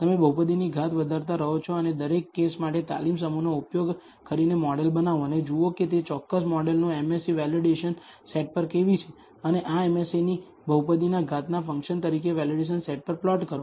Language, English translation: Gujarati, You keep increasing the degree of the polynomial and for each case, build the model using the training set and see how the MSE of that particular model is on the validation set and plot this MSE on the validation set as a function of the degree of the polynomial